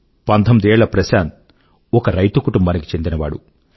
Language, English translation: Telugu, Prashant, 19, hails from an agrarian family